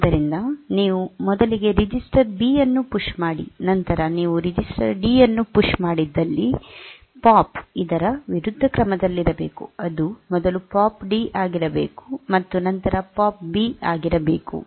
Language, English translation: Kannada, So, if you PUSH in at the beginning if you have first pushed the register B then PUSH the register D, then the POP should be in the other order it should be POP D first, and then for B first then the POP B